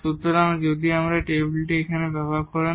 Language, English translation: Bengali, So, if you make this table here